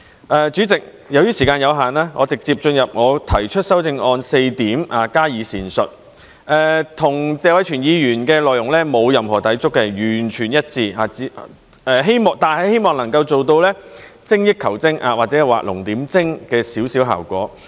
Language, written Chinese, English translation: Cantonese, 代理主席，由於時間有限，我直接進入我提出的修正案的4點加以闡述，與謝偉銓議員的內容沒有任何抵觸，是完全一致的，但希望能夠做到一點精益求精，或者畫龍點睛的效果。, It is our hope that we can achieve the target of maintaining the waiting time of three years for PRH allocation . Deputy President due to time constraint I will directly elaborate on the four points of my amendment which are not in conflict with the content of Mr Tony TSEs motion . They are indeed completely consistent but I hope to refine it a little bit or to highlight some important points